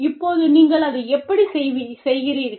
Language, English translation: Tamil, Now, how you do it